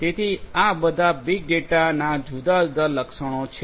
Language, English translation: Gujarati, So, all of these are different attributes of big data